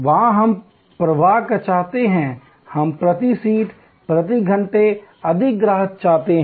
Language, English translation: Hindi, There we want flow; we want more customers per seat, per hour